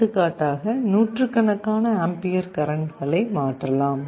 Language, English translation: Tamil, For example, hundreds of amperes of currents can be switched